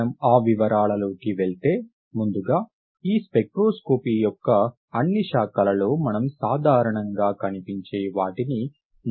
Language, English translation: Telugu, Before we go into those details, first let us define what we see common in all these branches of spectroscopy